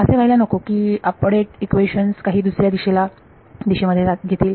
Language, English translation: Marathi, It should not be that the update equations are taking in some different directions